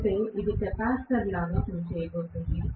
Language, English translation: Telugu, Which means it is going to work like a capacitor